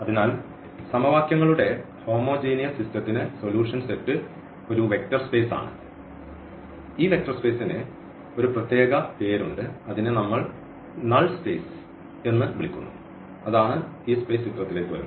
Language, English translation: Malayalam, So, for the homogeneous system of equations the solution set is a vector space and this vector space has a special name which we call as null space that is what this space coming into the picture